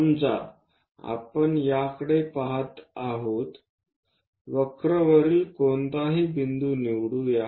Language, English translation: Marathi, If we are looking at this pick any point on the curve